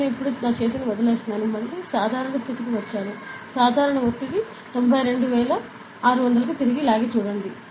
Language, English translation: Telugu, I am leaving the hand now, again back to normal; see the pressure has even drag back to the normal 92600